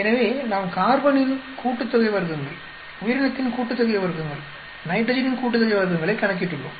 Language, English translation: Tamil, So, we calculated the sum of squares for carbon, sum of squares for organisms, sum of squares for nitrogen